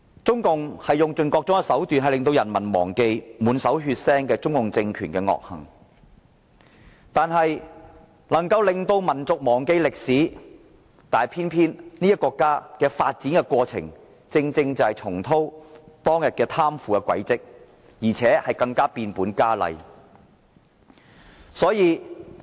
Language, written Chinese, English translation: Cantonese, 中共政權用盡各種手段令人民忘記其滿手血腥的惡行，令民族忘記歷史，但偏偏這個國家今天正重蹈當天貪腐的覆轍，而且更加變本加厲。, The CPC regime employs every means to wipe away the peoples memory of its atrocities and the whole nation has forgotten the history . But history has repeated itself; and today corruption is even more rampant than the time of the 4 June movement